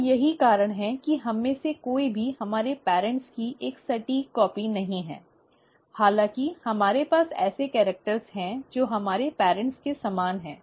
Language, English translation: Hindi, And that is the reason why none of us are an exact copy of our parents, though we have characters which are similar to our parents